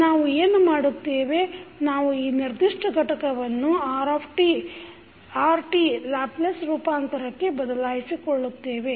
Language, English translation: Kannada, So, what we will do we will this particular component you can replace with the Laplace transform of Rt